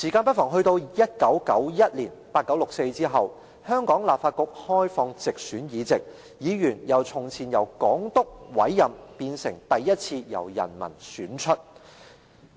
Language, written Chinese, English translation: Cantonese, 到了1991年 ，1989 年六四事件後，香港立法局開放直選議席，議員由從前只由港督委任，變成第一次由人民選出。, After the 4 June Incident in 1989 the Government introduced directly elected seats in the Legislative Council of Hong Kong in 1991 . With the participation of Members elected by the public for the first time the Council was no long made up of Governor - appointed Members only